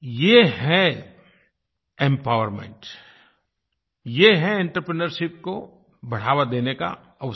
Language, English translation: Hindi, This is an opportunity for encouraging entrepreneurship